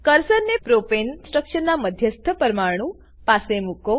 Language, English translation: Gujarati, Place the cursor near the central atom of Propane structure